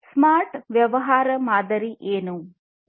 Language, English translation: Kannada, What is the smart business model